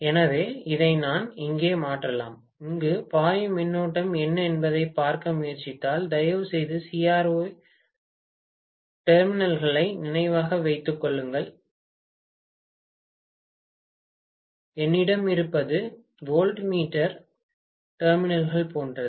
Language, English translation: Tamil, So, I can substitute this here, if I try to look at what is the current that is flowing here, please remember CRO terminals what I have is like voltmeter terminals